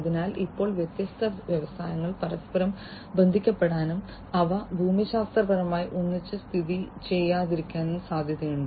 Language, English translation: Malayalam, So, now, it is possible that different industries would be connected to each other and they may not be geographically co located